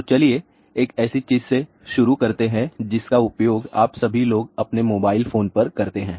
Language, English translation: Hindi, So, let us start with something which you all people are used to, your mobile phone